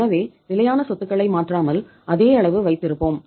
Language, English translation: Tamil, So we are not disturbing the fixed assets by keeping the same amount of fixed assets